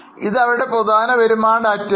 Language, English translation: Malayalam, So, this is their income data